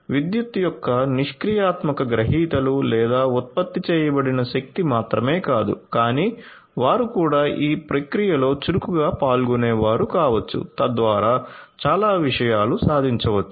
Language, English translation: Telugu, So, they cannot they will not be just the passive recipients of the electricity or the power that is generated, but they can also be an active participant in the process thereby many things can be achieved